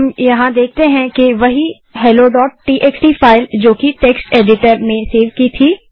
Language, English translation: Hindi, Hey we can see that the same hello.txt file what we saved from text editor is here